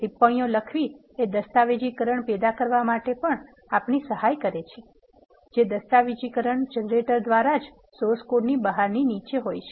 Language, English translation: Gujarati, Writing comments also help us to generate documentation which is external to the source code itself by documentation generators